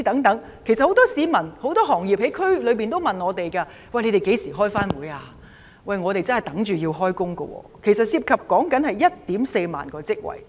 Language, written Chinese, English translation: Cantonese, 很多區內市民和業界人士也問我們何時會再召開會議，他們真的在等候開工，涉及 14,000 個職位。, Many residents in the districts and members of industries have asked us when meetings will be held again . They are really waiting to be called to work and 14 000 jobs are at stake